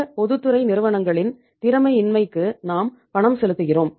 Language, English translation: Tamil, And we are paying for the inefficiencies of these public sector companies